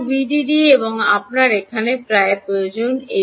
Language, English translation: Bengali, so v d d and you need around here